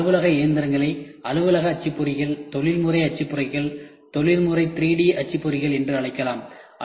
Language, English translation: Tamil, Then office machines it can be called as office printers, professional printers, professional 3D printers